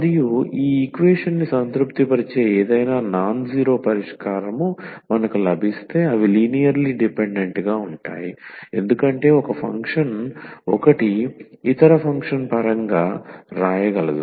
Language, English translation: Telugu, And if we get any nonzero solution which satisfy this equation then they are linearly dependent because one function 1 can write in terms of the other function